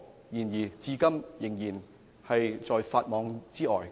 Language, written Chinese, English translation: Cantonese, 但是，他們至今仍在法網之外。, Nonetheless they have yet to be caught by the law